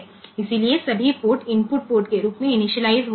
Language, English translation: Hindi, So, all ports will get initialized as input port